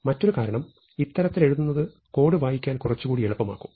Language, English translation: Malayalam, One reason is, that the code becomes a little easier to read